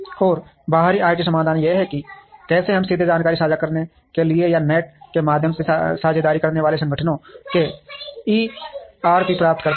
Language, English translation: Hindi, And external IT solutions is how we get the ERP’s of the partnering organizations to share information directly, or through the net and so on